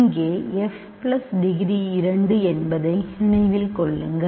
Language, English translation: Tamil, Remember degree of f plus degree of g here is 2